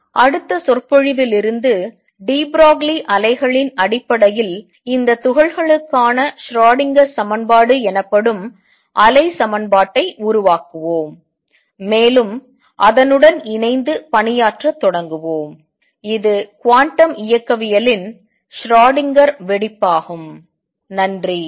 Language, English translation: Tamil, On next lecture onwards we will develop a wave equation known as the Schrödinger equation for these particles in terms of de Broglie waves, and start working with it that will be the Schrödinger explosion of quantum mechanics